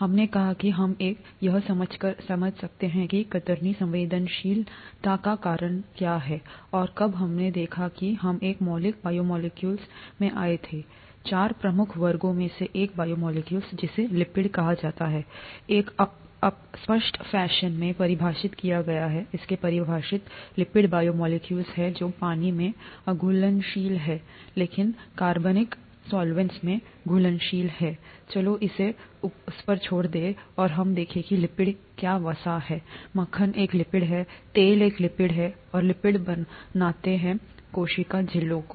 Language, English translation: Hindi, We said that we could do that by understanding what causes the shear sensitivity and when we looked at that we came across a fundamental biomolecule one of the four major classes of biomolecules called lipids, defined in a vague fashion, its defined, lipids are biomolecules that are soluble, that are insoluble in water but soluble in organic solvents, let’s leave it at that that doesn’t matter and we saw what lipids are fat is a lipid butter is a lipid oil is a lipid and lipids make up the cell membranes